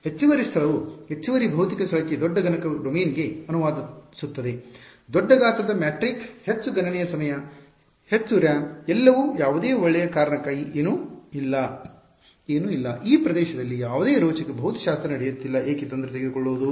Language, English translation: Kannada, Extra space translates to extra physical space translates to larger computational domain, larger size of matrix, more computation time more RAM everything for no good reason there is no there is nothing, there is no exciting physics happening in this region why bother